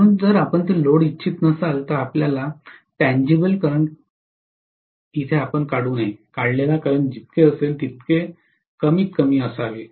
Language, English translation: Marathi, So if you do not want to load it, you better not draw a tangible current, the current drawn should be as minimum as it can be